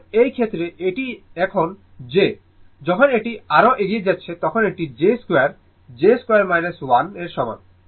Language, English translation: Bengali, So, in this case your ah, this is j now when you are moving further it is j square, j square is equal to minus 1